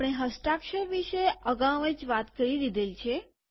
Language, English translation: Gujarati, We have already talked about the signature